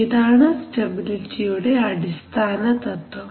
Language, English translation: Malayalam, So this is the basic concept of stability